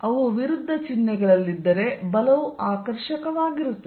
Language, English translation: Kannada, If they are at opposite signs, then force is going to be attractive